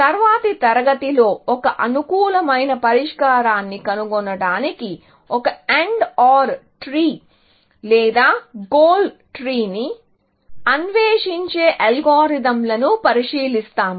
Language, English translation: Telugu, the next class we will look at an algorithm, which explores an AND OR tree or a goal tree, to find an optimal solution, essentially